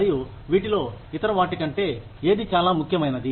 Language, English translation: Telugu, And, which of these is more important, than the other